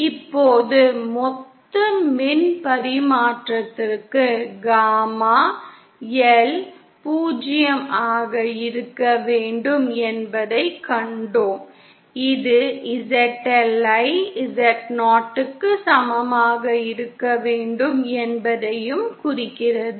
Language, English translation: Tamil, Now for total power transmission, we saw that gamma L should be 0 which also implies ZL should be equal to Zo